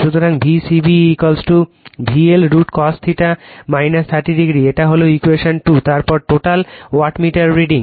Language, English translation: Bengali, So, V c b is equal to V L I L cos theta minus 30 degree this is equation 2 , then total wattmeter reading